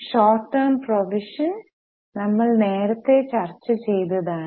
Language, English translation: Malayalam, Short term provisions, we have discussed provisions earlier